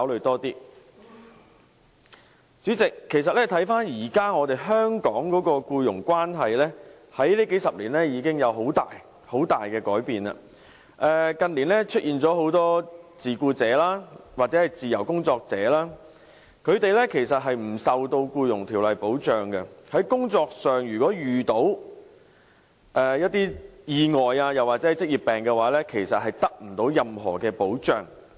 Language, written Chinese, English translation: Cantonese, 代理主席，其實回看現時香港的僱傭關係，數十年來已有很大改變，近年出現很多自僱者或自由工作者，他們其實不受《僱傭條例》的保障，如在工作上遇到意外或患上職業病的話，其實不會得到任何保障。, Deputy President when we look at the existing labour relationship in Hong Kong we can see some major changes over the past few decades . The recent years have seen the emergence of many self - employed persons or freelancers . They are not protected by the Employment Ordinance